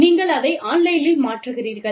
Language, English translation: Tamil, You transfer it online